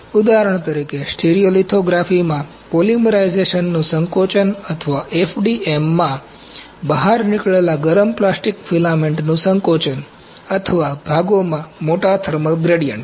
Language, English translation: Gujarati, For example, shrinkage of polymerization in stereolithography or contraction of heated plastic filament extruded in FDM or large thermal gradients within the parts